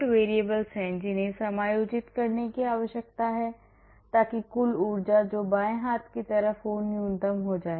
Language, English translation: Hindi, So, we have 3 independent variables which need to be adjusted so that the total energy which is on the left hand side becomes minimum